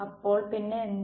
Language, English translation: Malayalam, So, then what